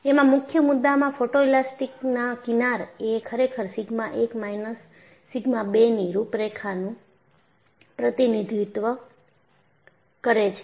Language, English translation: Gujarati, The focus was to show that the photoelastic fringes indeed, represent contours of sigma 1 minus sigma 2